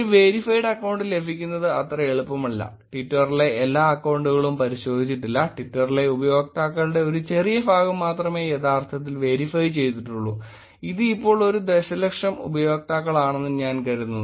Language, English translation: Malayalam, It is not that easy to get a verified account, not all accounts on Twitter are verified; only a little fraction of users on Twitter are actually verified, I think it is about a million users now